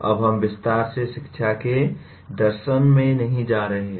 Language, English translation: Hindi, Now we are not going to deal with philosophy of education in detail